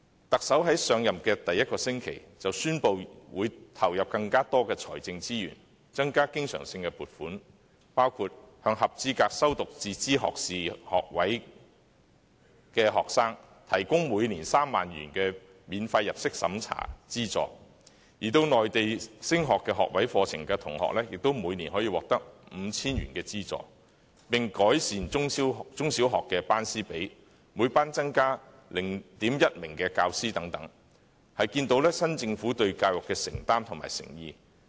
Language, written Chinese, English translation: Cantonese, 特首在上任第一個星期，便宣布會投入更多財政資源，增加經常性撥款，包括向合資格修讀自資學士學位的學生，提供每年3萬元的免入息審查資助，而前往內地升讀學位課程的學生，亦可每年獲得 5,000 元的資助；改善中小學的班師比例，每班增加 0.1 名教師，可見新政府對教育的承擔和誠意。, In the first week after assuming office the Chief Executive announced the allocation of more financial resources to increase recurrent funding including the provision of a non - means - tested annual subsidy of 30,000 for eligible students pursuing self - financed undergraduate programmes and also an annual subsidy of 5,000 for students pursuing undergraduate programmes in the Mainland . And the teacher - to - class ratio will be increased by 0.1 teacher per class for primary and secondary schools . These measures demonstrate the new Governments commitment and sincerity with regard to education